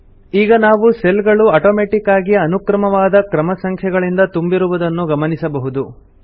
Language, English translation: Kannada, We see that the cells automatically get filled with the sequential serial numbers